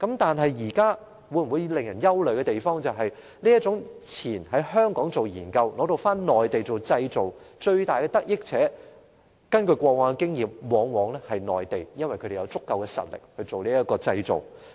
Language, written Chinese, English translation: Cantonese, 但是，令人憂慮的是，根據過往經驗，這種先在香港進行研究，然後在內地製造的做法，最大的得益者往往是內地，因為內地的製造業有足夠實力。, However it is worrying that according to past experience the Mainland often benefits most from this approach of conducting research in Hong Kong before carrying out manufacturing on the Mainland because the Mainlands manufacturing industries have sufficient strength